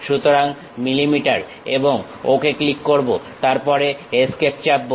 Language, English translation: Bengali, So, millimeters and click Ok, then press Escape